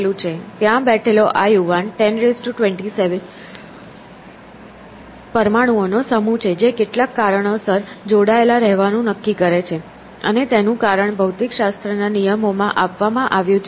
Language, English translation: Gujarati, So, this young man sitting over there is just a collection of a 10 rise to 27 atoms which for some reason decide to stick together, and the reason is given by the laws of physics